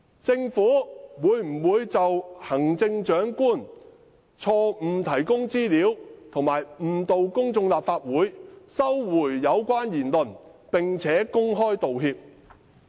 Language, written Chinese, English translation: Cantonese, 政府會否就行政長官錯誤提供資料及誤導公眾和立法會，收回有關言論，並且公開道歉？, Will the Government retract the relevant remarks and offer an open apology for the Chief Executive providing wrong information and misleading the public and the Legislative Council?